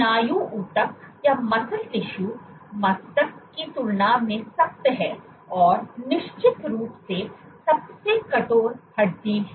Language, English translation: Hindi, Muscle tissue is stiffer than brain and of course the stiffest is bone